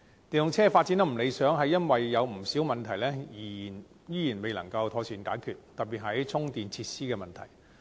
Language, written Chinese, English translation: Cantonese, 電動車發展不理想，是由於有不少問題仍然未能妥善解決，特別是充電設施的問題。, The development of EVs is not satisfactory as there are still many issues that cannot be properly resolved particularly the issue of charging facilities